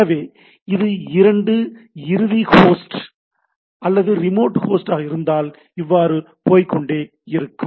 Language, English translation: Tamil, So, if it is the two end host or the remote host, so it will go on looking at it